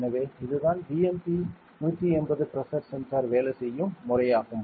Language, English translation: Tamil, So this is how the BMP180 pressure sensor works ok